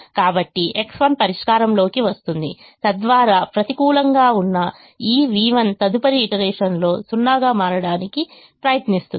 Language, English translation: Telugu, so that is v one that is negative will try to become zero in the next iteration